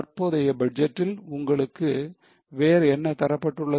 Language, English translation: Tamil, What else is given to you for the current budget